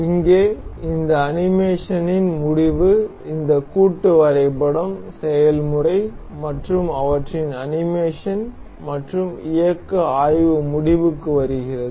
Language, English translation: Tamil, So, here comes the end of this animation of here comes the end for this assembly process and their animation and motion study